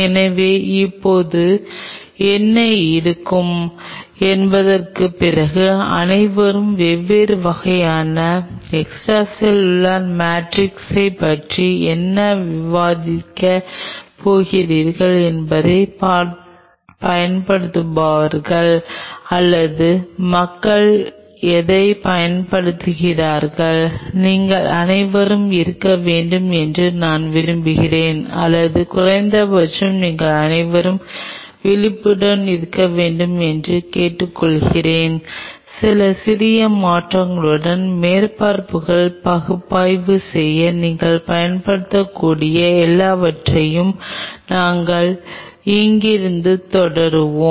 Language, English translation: Tamil, So, now here after what will be, what all will be discussing about the different kind of extracellular matrix what will be using or what people use, I wish all of you should be or at least I request all of you should be aware about the tools at your disposal what all you can use to analyse surfaces with few slight changes we will continue from here ok